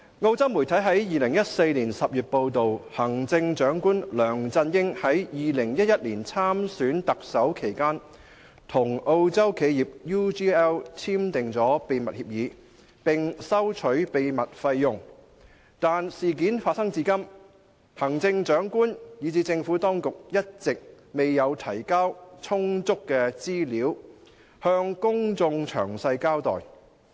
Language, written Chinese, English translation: Cantonese, 澳洲媒體於2014年10月報道，行政長官梁振英在2011年參選特首期間，與澳洲企業 UGL 簽訂秘密協議，並收取秘密費用，但事件發生至今，行政長官以至政府當局一直未有提交充足資料，向公眾詳細交代。, In September 2014 it was reported by Australian media that Chief Executive LEUNG Chun - ying had while running for the post of Chief Executive Election in 2011 signed a secret agreement with UGL Limited UGL an Australian firm and received secret payments from it . However since then neither the Chief Executive nor the Administration has ever provided any adequate information that can offer the public a detailed account of the incident